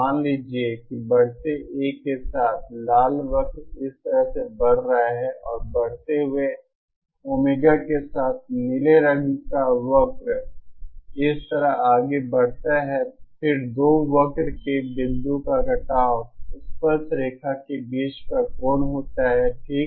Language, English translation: Hindi, Suppose with increasing A, the red cure is moving like this and with increasing Omega the blue curve moves like this, then the angle between the tangents to the two curves at the point of intersection okay